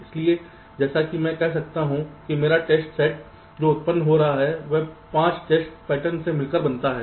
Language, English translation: Hindi, so, as i can say that my test set that is being generated consist of this: five test patterns